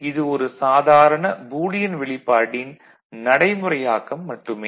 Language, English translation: Tamil, It is just simple implementation of the Boolean expression, right